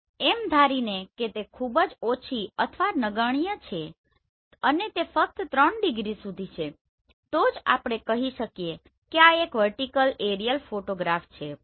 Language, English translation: Gujarati, So but assuming that this is very less or negligible and it is up to 3 degree only then we say that this is a vertical aerial photograph